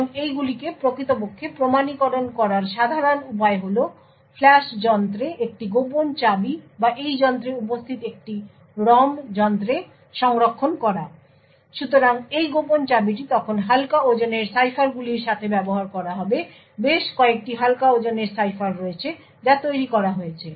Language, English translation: Bengali, Now the typical way to actually authenticate these is to store a secret key in Flash device or a ROM device present in this device, So, this secret key would then be used to with lightweight ciphers, there are several lightweight ciphers which have been developed